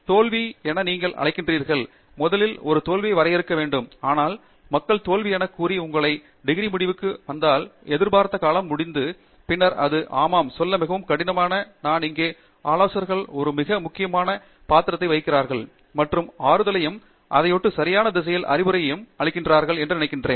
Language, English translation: Tamil, But, of course, dealing with failures is important, and failures occurring towards… what you call as a failure, you should have to first define a failure, but what people call as failure and if it occurs towards the end of your degree or so called expected duration, then yeah, it is more difficult to say and that is where I think advisors play a very critical role in cushioning, and in giving comfort, and so on, and giving advice in the right direction